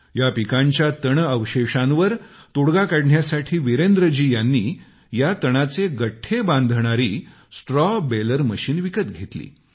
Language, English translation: Marathi, To find a solution to stubble, Virendra ji bought a Straw Baler machine to make bundles of straw